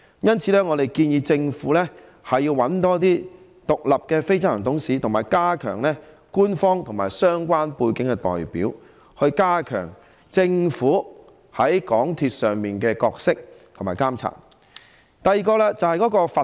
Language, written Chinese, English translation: Cantonese, 因此，我們建議政府委任多一些獨立非執行董事，以及加強官方和有相關背景的代表，以加強政府在港鐵內的角色和發揮監察作用。, In view of this we propose that the Government appoint more independent non - executive directors and increase the number of representatives with official backgrounds or related backgrounds so as to strengthen the role of the Government in MTRCL and bring its monitoring function into play